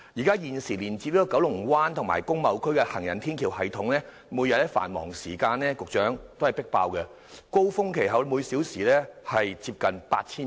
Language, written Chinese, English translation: Cantonese, 局長，現時連接九龍灣和工貿區的行人天橋系統每天在繁忙時間均"迫爆"，高峰期每小時有接近8000人。, Secretary the existing walkway system linking up Kowloon Bay and the industrial and business areas is jam - packed every day with an hourly pedestrian flow of close to 8 000 during the peak hours